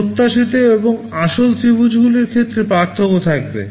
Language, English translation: Bengali, There will be a difference in the area of the expected and actual triangles